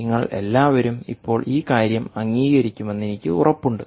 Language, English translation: Malayalam, i am sure you will all agree to this point